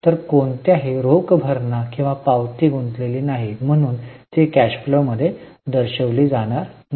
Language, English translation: Marathi, So, no cash payment or receipt is involved so it will not be shown in the cash flow